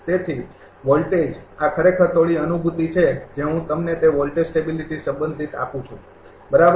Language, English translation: Gujarati, So, voltage this is actually some feeling I give you regarding that voltage stability, right